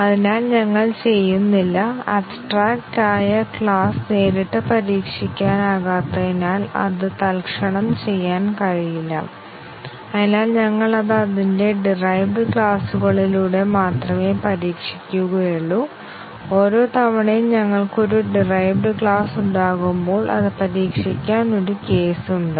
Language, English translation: Malayalam, So, we do not, since abstract class cannot be directly tested, it cannot be instantiated therefore, we test it only through its derived classes and each time we have a derived class we have a case for testing it